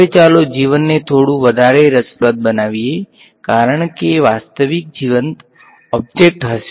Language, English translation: Gujarati, Now let us make life a little bit more interesting because real life will objects ok